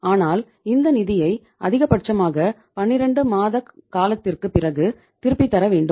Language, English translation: Tamil, But we have to return these funds maximum after a period of 12 months